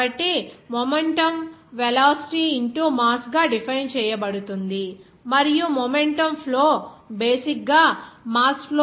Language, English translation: Telugu, So, momentum will be defined as mass into velocity and momentum flow would be basically that mass flow into momentum by mass